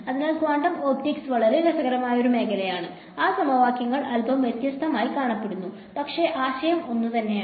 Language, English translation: Malayalam, So, quantum optics is a very interesting field as well; those equations look a little bit different, but the idea is the same